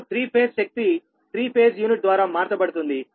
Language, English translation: Telugu, now the three phase power is transformed by use of, i told you, three phase units